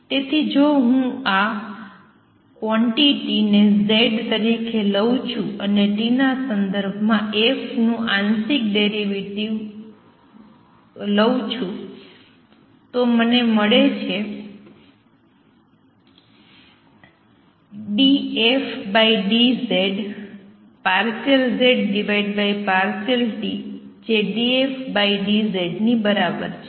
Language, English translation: Gujarati, So, if I take call this quantity z and take partial derivative of f with respect to t, I am going to get d f d z times partial z over partiality t which is same as d f d z